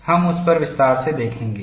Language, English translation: Hindi, What we will look at is